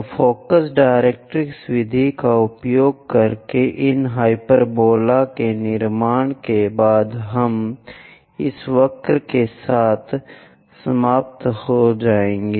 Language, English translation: Hindi, So, after construction of these hyperbola using focus directrix method, we will end up with this curve